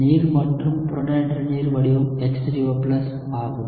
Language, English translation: Tamil, Water and protonated form of water is H3O+